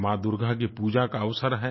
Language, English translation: Hindi, It is a time for praying to Ma Durga